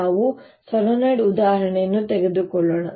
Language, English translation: Kannada, let's take that example of a solenoid